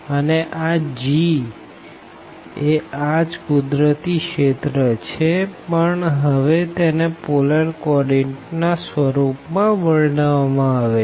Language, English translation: Gujarati, And this G is basically the same the same region naturally, but now it is described in terms of the polar coordinates